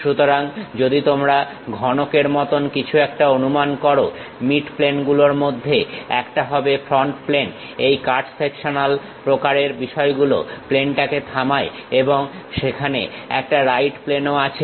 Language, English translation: Bengali, So, if you are assuming something like a cuboid one of the mid plane is front plane, the cut sectional kind of thing is stop plane and there is a right plane also we can see right plane of that cuboid